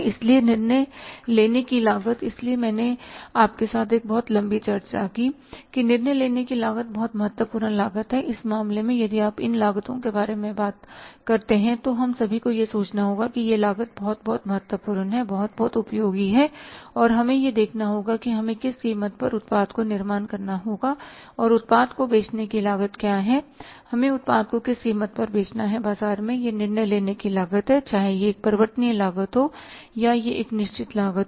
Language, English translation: Hindi, So, decision making cost that is why I had a very long discussion with you that decision making costs are very very important cost and in this case if you talk about these costs we will have to think about that these costs are very very important, very useful and we will have to see that at what cost we have to miss what is the cost of manufacturing the product and what is the cost of selling the product at what cost we have to sell the product in the market that is the decision making cost whether it has to be a variable cost or it has to be a fixed cost